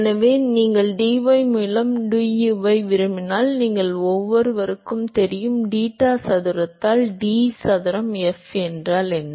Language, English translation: Tamil, So, if you want du by dy you each know; what is d square f by deta square